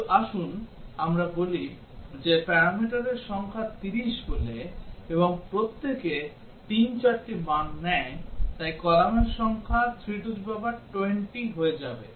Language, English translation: Bengali, But let us say the number of parameter says 30, and each one takes let say 3, 4 values, so the number of columns will become 3 to the power 20